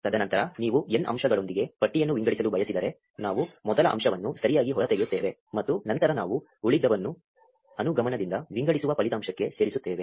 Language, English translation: Kannada, And then if you want to sort a list with n elements, we pull out the first element right and then we insert it into the result of inductively sorting the rest